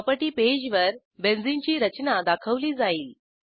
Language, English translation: Marathi, Benzene structure is displayed on the property page